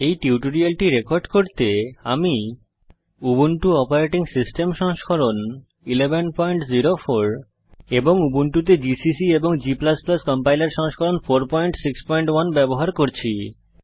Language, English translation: Bengali, To record this tutorial, I am using, Ubuntu Operating System version 11.04 gcc and g++ Compiler version 4.6.1